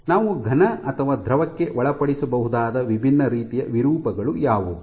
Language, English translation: Kannada, So, what are the different types of deformation that we can subject either a solid or a liquid to